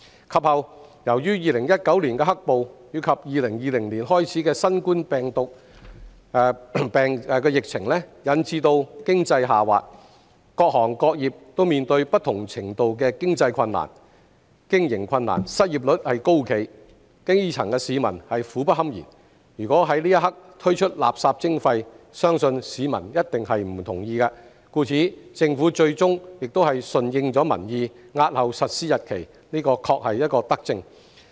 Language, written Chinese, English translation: Cantonese, 及後，由於2019年的"黑暴"及2020年開始的新冠狀病毒病疫情引致經濟下滑，各行各業均面對不同程度的經營困難，失業率高企，基層市民苦不堪言，如果在當刻推出垃圾徵費，相信市民一定不同意，故此，政府最終順應民意，押後實施日期，這確是一項德政。, Subsequently due to the economic downturn caused by the riots in 2019 and the COVID - 19 epidemic beginning in 2020 various trades and industries were faced with varying degrees of operation difficulties the unemployment rate remained high and the grass roots were miserable . If MSW charging was introduced at that juncture I am sure that people would definitely disagree . For that reason the Government eventually deferred the implementation date in accordance with the wishes of the people